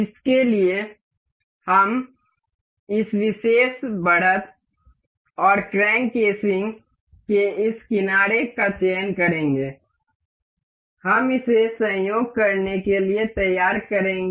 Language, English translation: Hindi, For this, we will select the this particular edge and the this edge of the crank casing, we will mate it up to coincide